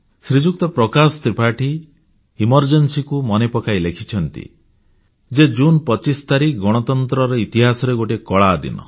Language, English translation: Odia, Shri Prakash Tripathi reminiscing about the Emergency, has written, presenting 25thof June as a Dark period in the history of Democracy